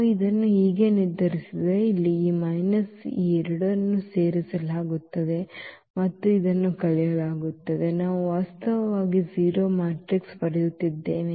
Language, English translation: Kannada, So, when we when we determine this one so, here this minus so, these two will be added and that this will be subtracted; we are getting actually 0 matrix